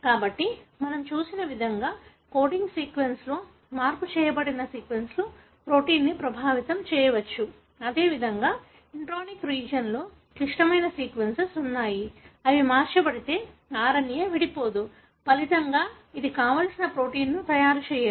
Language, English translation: Telugu, So just like the way we have looked at, sequences that are altered, changed in the coding sequence may affect the protein; similar way, there are critical sequence that are present in intronic region, if they are altered, RNA will not be spliced; as a result, it will not make the desired protein